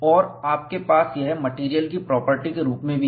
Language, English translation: Hindi, And, you also have this as a material property